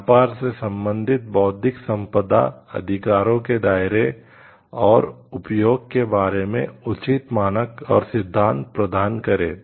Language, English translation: Hindi, The provision of adequate standards and principles concerning the availability scope and use of trade related Intellectual Property Rights